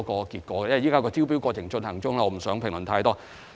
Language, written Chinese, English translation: Cantonese, 不過，由於招標過程現正進行中，我不便評論太多。, But since the tender process is still underway I cannot comment too much